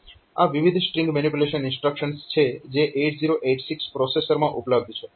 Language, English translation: Gujarati, So, these are the various string manipulation instructions that are available in the 8086 processor